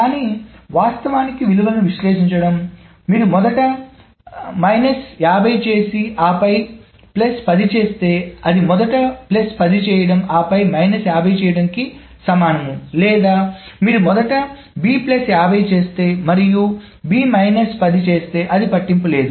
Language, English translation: Telugu, But actually analyzing the values that if you do A minus 50 first and then A plus 10, that is the same as doing A plus 10 first and then A minus 50 or if you do B plus 50 first and B minus this thus, then it doesn't matter